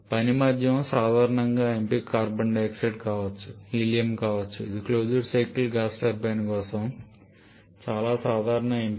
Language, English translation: Telugu, Common choice for working medium can be carbon dioxide can be helium these are quite common choice for closed cycle gas turbine